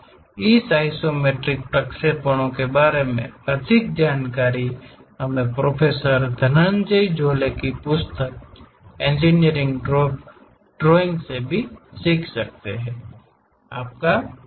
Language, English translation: Hindi, More details of this iso isometric projections, we can learn from the book Engineering Drawing by Professor Dhananjay Jolhe